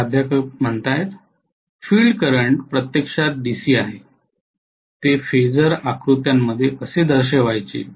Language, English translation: Marathi, Field current is actually DC; how can we show it in a phasor diagram